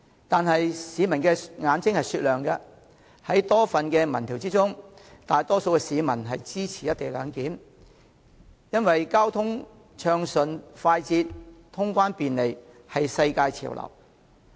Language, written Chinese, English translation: Cantonese, 然而，市民的眼睛是雪亮的，根據多份民調的結果顯示，大多數市民均支持"一地兩檢"安排，因為交通暢順快捷、通關便利，已成為世界潮流。, However the general masses have discerning eyes and according to the findings of a number of opinion surveys the majority of respondents expressed support for the co - location arrangement because efficient traffic flow and customs clearance efficiency have already become global trends